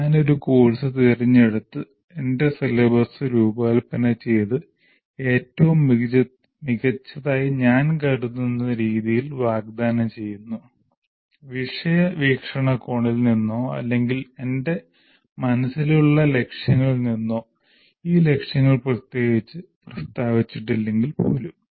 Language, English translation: Malayalam, I just pick a course, design my syllabus and offer it the way I consider the best, either from the subject perspective or whatever goals that I have in mind, even the goals are not particularly stated